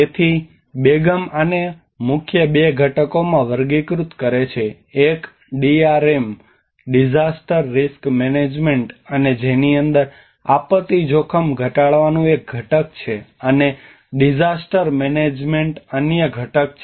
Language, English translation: Gujarati, So Begum categorizes this into two main components one is DRM disaster risk management and within which the disaster risk reduction is one of the component, and the disaster management is another component